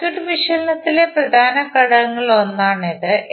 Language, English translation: Malayalam, This is also one of the important component in our circuit analysis